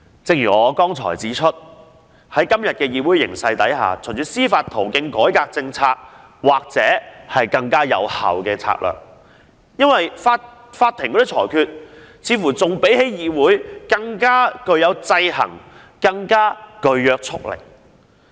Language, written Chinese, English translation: Cantonese, 正如我剛才所指，在今天的議會形勢下，循司法途徑改革政策或許是更有效的策略，因為法庭的裁決似乎比議會的討論更具制衡力及約束力。, As I have pointed out given the present situation in the legislature seeking policy reform through judicial means may well be a more effective strategy because it looks like the rulings of the Court can exercise stronger checks and are of greater binding force than mere discussions in the legislature